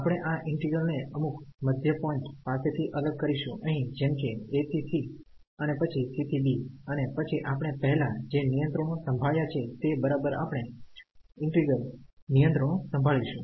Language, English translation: Gujarati, We can also break this integral at some middle at some other point here like a to c and then c to b and then we can handle exactly the integrals we have handled before